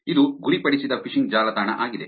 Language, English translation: Kannada, it is targeted phishing website